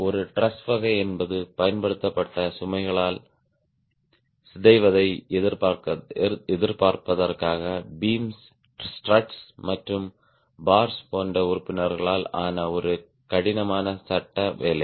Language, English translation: Tamil, a thrust is a rigid frame work made up of members such as beams, struts and bolls to resist deformation by applied loads